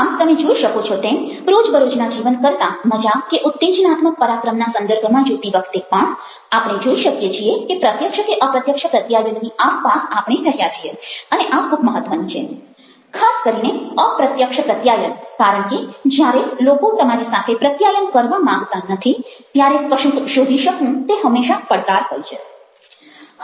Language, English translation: Gujarati, so you find that, even in when we are looking at the context of, ah, fun or exciting adventures other than day to day life, we find that communication, whether implicit or explicit, is something with which we play around and it is very, very important, especially covert communication, because there is always a challenge to find out something when people dont want to communicate to you